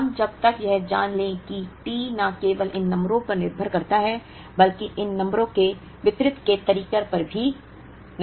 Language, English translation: Hindi, We know by now that the T depends not only on these numbers, but also depends on the way these numbers are distributed